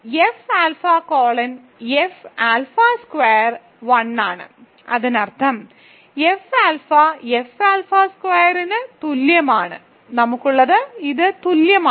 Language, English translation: Malayalam, So, F alpha colon F alpha squared is 1; that means, F alpha is equal to F alpha squared, so what we have is that this is equal